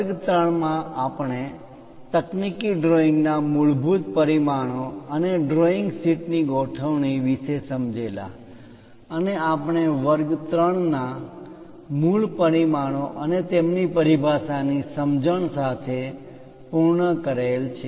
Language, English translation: Gujarati, In lecture 3, we try to look at basic dimensions of a technical drawing and the layout of a drawing sheet and we have ended the lecture 3 with basic dimensions and their terminology